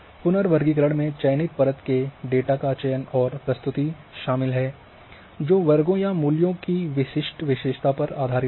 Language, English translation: Hindi, So, reclassification involves the selection and presentation of a selected layer of data based on classes or values of specific attribute